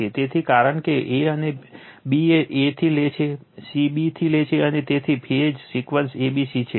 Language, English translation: Gujarati, So, because b lags from a, c lags from b, so phase sequence is a b c right